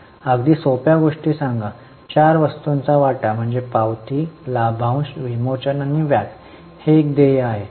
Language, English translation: Marathi, Very simple again, four items, issue of share is a receipt, dividend, redemption and interest is a payment